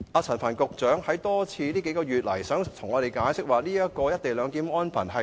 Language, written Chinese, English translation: Cantonese, 陳帆局長近月多次向我們解釋，指其他國家也有"一地兩檢"的安排。, In recent months Secretary Frank CHAN repeatedly explained to us that other countries have also adopted the co - location arrangement